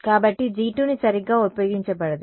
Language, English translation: Telugu, So, G 2 cannot be used ok